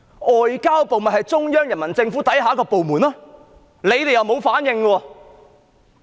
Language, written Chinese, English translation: Cantonese, 外交部是中央人民政府之下的一個部門，特區政府卻沒有反應。, The Ministry of Foreign Affairs is a department of the Central Peoples Government but the SAR Government has given no response